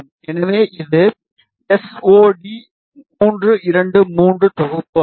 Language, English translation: Tamil, So, SOD 323 is the package